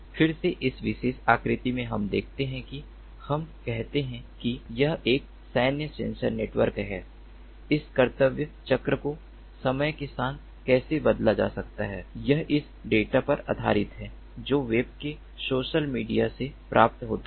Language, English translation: Hindi, so in this particular figure we see that let us say that this is a military sensor network how this duty cycle is going to be changed over time of this, based on the data that is received from the web, from social media